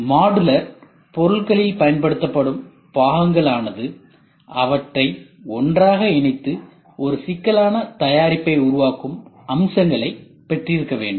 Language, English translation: Tamil, Components used in the modular products must have features that enable them to be coupled together to form a complex product